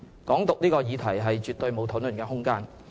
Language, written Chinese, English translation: Cantonese, "港獨"這項議題絕對沒有討論空間。, There is absolutely no room for discussion on the notion of Hong Kong independence